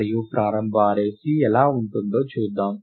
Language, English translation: Telugu, And let us see how the initial array C looks like